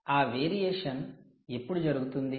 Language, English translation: Telugu, and when does that variation happen